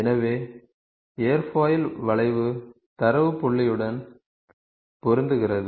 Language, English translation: Tamil, So, Airfoil curve fits with the data point